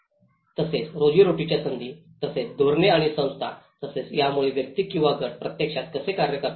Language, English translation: Marathi, As well as the livelihood opportunities and also the policies and the institutions, how these actually make the individual or the groups to act upon